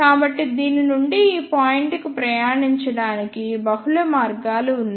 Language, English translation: Telugu, So, there are multiple paths to travel from this to this point